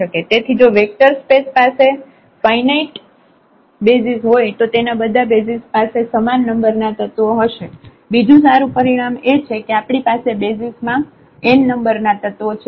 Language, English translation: Gujarati, So, if a vector space has finite basis then all of its basis have the same number of elements, that is another beautiful result that if we have the n number of elements in the basis